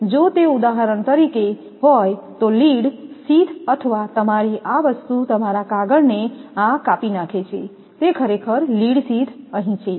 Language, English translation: Gujarati, So, if it is for example, lead sheath or your this thing your paper dilating this is actually lead sheath is here also there